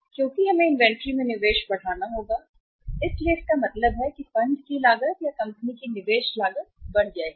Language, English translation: Hindi, Because we will have to increase the investment in the inventory so it means the the cost of funds or the investment cost of the company will go up